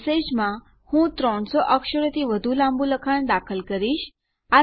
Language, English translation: Gujarati, In message, Ill enter some text more than 300 characters long